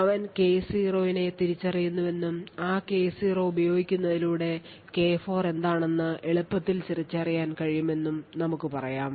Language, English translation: Malayalam, Now all that is required is the attacker identifies any one of them that is let us say he identifies K0 and using that K0 he can easily identify what K4 is using this relationship